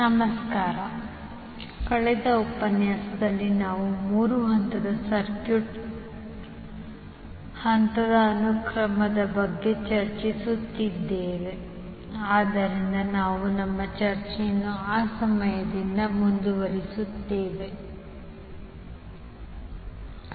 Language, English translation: Kannada, Namaskar, so in the last session we were discussing about the phase sequence of three phase circuit, so we will continue our discussion from that point onwards and let us see